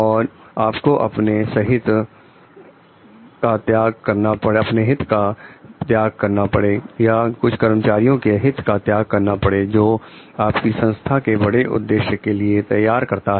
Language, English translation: Hindi, And like you may have to sacrifice the your personal self interest or interest of the some of the employees in order to life make your organization ready for the greater objective